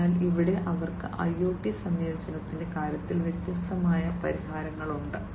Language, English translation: Malayalam, So, here also they have different solutions, in terms of incorporation of IoT